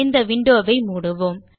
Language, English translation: Tamil, Let us close this window